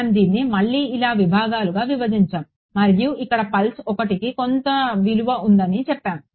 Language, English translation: Telugu, We broke it up like this again into segments and here we said pulse 1 has some value